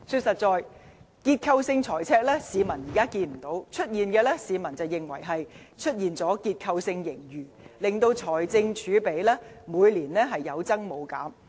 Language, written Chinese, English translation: Cantonese, 誠然，市民現在看不到結構性財赤，但卻認為出現結構性盈餘，令財政儲備每年有增無減。, Honestly the people see no structural deficit at the moment yet they believe the Government is accumulating more fiscal reserves every year with continuous structural surpluses